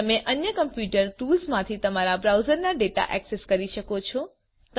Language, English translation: Gujarati, You can access your browser data from the other computer tools